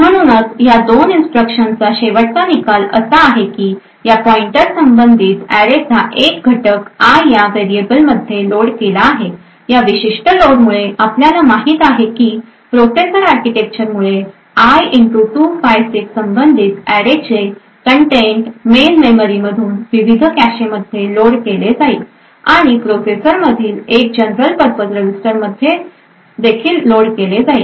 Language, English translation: Marathi, Therefore, the end result of these two instructions is that corresponding to this pointer one element of the array is loaded into this variable called i, so due to this particular load what we know due to the processor architecture is that the contents of the array corresponding to i * 256 would be loaded from the main memory into the various caches and would also get loaded into one of the general purpose registers present in the processor